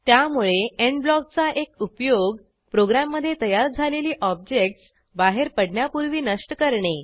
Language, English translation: Marathi, So, one use of END block is to destroy objects created in the program, before exiting